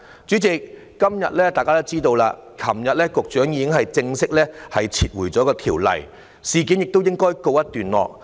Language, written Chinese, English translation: Cantonese, 主席，今天大家也知道，局長昨天已經正式撤回有關條例草案，事件亦應告一段落。, President as Members are aware today the Secretary already formally withdrew the relevant Bill yesterday . The matter should come to an end